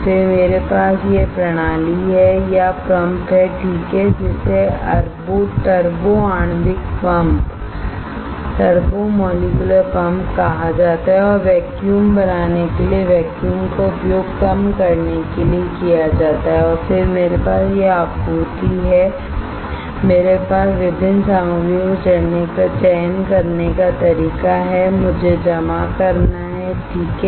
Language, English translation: Hindi, Then I have this system or pump right that is called turbo molecular pump and is used to create a vacuum is reduced to create a vacuum and then I have this supply, I have various way of selecting which material, I have to deposit right